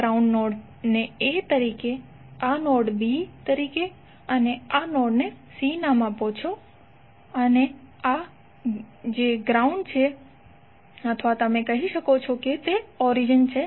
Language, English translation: Gujarati, Now if you give this node as a this node as b this node as c and this is o that is the ground or may be origin you can say